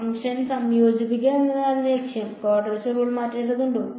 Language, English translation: Malayalam, Objective is to integrate the function, do I need to change the quadrature rule